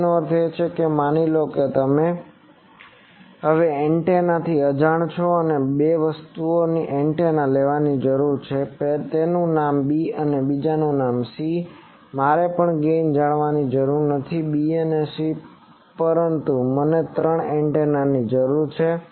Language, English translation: Gujarati, So, that means, suppose ‘a’ is an antenna which is unknown, I need to have two more antennas let their name is ‘b’ and another name is ‘c’, now I even do not need to know the gain of ‘b’ and ‘c’ but I require three antennas